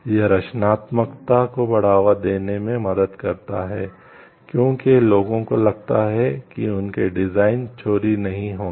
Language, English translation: Hindi, It helps to promote creativity as people feel assured that their designs will not be stole